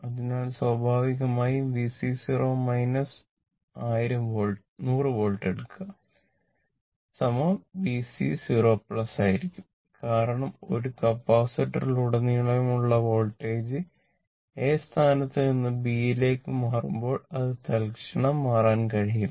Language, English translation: Malayalam, So, naturally V C 0 minus is equal to take 100 volt is equal to V C 0 plus because your voltage through a capacitor when switch move ah move from position A to B it cannot change instantaneously